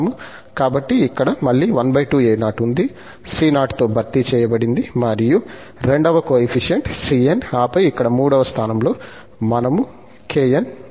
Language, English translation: Telugu, So, here again, the c0 is half a naught, which is replaced here by this c0, the second this is cn, and then the third place here, we have this kn